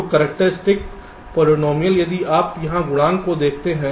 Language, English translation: Hindi, so characteristic polynomial if you look at the ah coefficience here